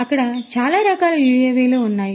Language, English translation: Telugu, There are so many different types of UAVs that are there